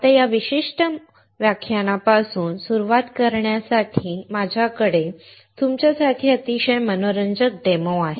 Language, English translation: Marathi, Now to start with this particular series, I have very interesting demo for you